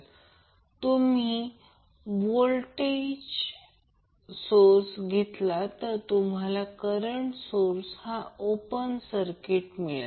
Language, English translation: Marathi, So, when you take the voltage source your current source will be open circuited